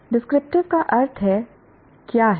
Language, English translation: Hindi, Descriptive means what is